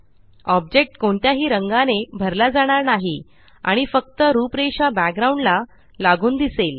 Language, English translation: Marathi, The object is not filled with any color and only the outline is seen against the background